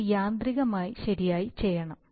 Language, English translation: Malayalam, It should be done automatically right